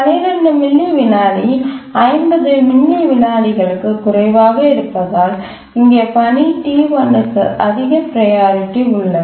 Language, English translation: Tamil, So we check whether 12 millisecond is less than 50 milliseconds, so that is task T1 has the highest priority, find that it is schedulable